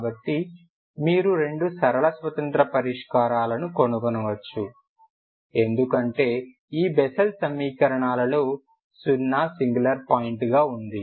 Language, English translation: Telugu, So you can find the two linear independent solutions ok because you see the bessel equations 0 is the only singular point